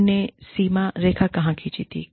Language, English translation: Hindi, Where do you draw the line